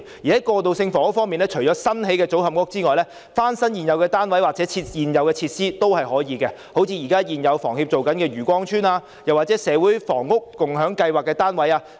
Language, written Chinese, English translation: Cantonese, 在過渡性房屋方面，除了新興建的組合屋外，翻新現有單位或現有設施亦可以，例如現時房協提供過渡性房屋的漁光邨單位，又或是社會房屋共享計劃的單位。, To provide transitional housing besides building new modular social housing units we may also renovate existing units or existing facilities like the transitional housing units provided by HKHS at Yue Kwong Chuen or the units of the Community Housing Movement